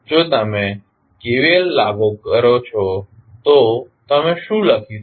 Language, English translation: Gujarati, If you apply KVL what you can write